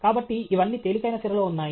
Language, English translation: Telugu, So, these are all in lighter vein